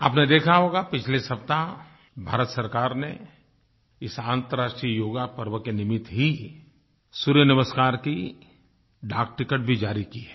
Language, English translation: Hindi, You must have seen that last week the Indian government issued a postage stamp on 'Surya Namaskar' on the occasion of International Yoga Day